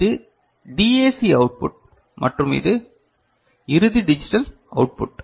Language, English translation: Tamil, And this is the DAC output and this is final digital output